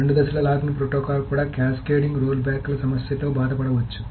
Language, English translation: Telugu, The two phase locking protocol can also suffer from the problem of cascading rollbacks